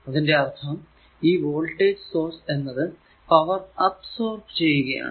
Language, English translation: Malayalam, So, it will be power absorbed by the voltage source